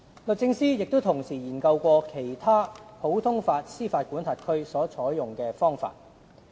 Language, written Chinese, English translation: Cantonese, 律政司同時也研究其他普通法司法管轄區所採用的方法。, The DoJ has also in parallel studied the methodology adopted in other common law jurisdictions